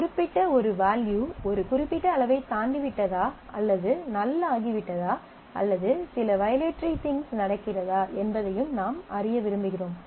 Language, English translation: Tamil, And well I want to know if a particular value has exceeded a certain level or if something has become null or some violatory things are happening and so on